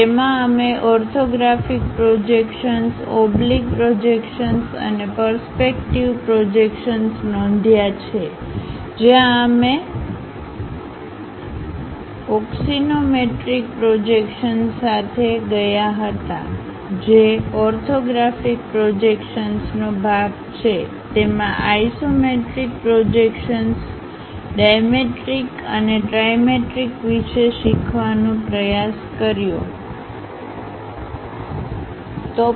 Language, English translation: Gujarati, In that we noted down orthographic projections, oblique projections and perspective projections where we in detail went with axonometric projections which are part of orthographic projections; in that try to learn about isometric projections, dimetric and trimetric